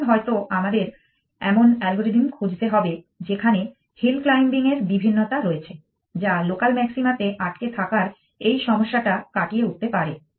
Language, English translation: Bengali, Maybe then, we need to look for algorithms which have variations of hill climbing which can overcome this problem of getting struck in the local maxima